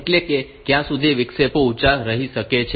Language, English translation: Gujarati, How long can the interrupts remain high